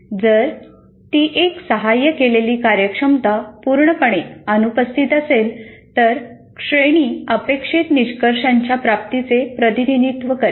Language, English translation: Marathi, If it is 1, that means if assisted performance is totally absent, then the grades will represent the attainment of outcomes, not otherwise